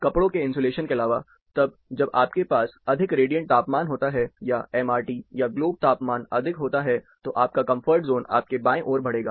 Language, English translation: Hindi, Apart from the clothing insulation, then when you have a higher radiant temperature, MRT or globe temperature is getting higher, then your comfort zone, will move towards your left